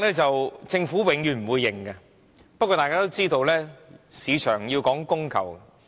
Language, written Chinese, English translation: Cantonese, 政府永遠不會承認有高地價政策，不過，大家都知道，市場要講供求。, The Government never admits there is such a policy but the supply and demand theory is well known to everyone